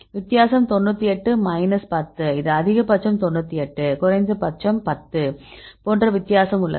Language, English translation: Tamil, The difference is 98 minus 10 this is the maximum 98, minimum is 10 there is a difference